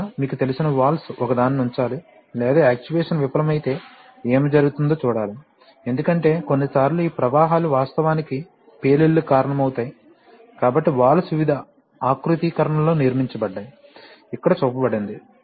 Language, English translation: Telugu, The, lastly, you know valves are, one has to put a, or have a view towards what will happen if the actuation fails, because, you know sometimes this flows can actually cause explosions etc, so valves are constructed in various configurations which are shown here